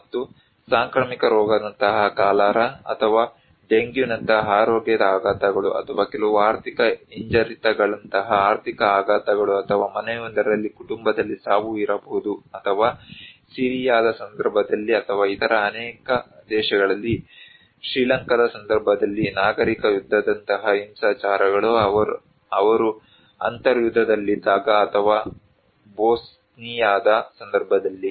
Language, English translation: Kannada, And health shocks like epidemic like cholera or even dengue let us say, or economic shocks like some financial recessions or maybe death in the family for a household or maybe violence like civil war in case of Syria or in many other countries in case of Sri Lanka when they were in civil war or in case of Bosnia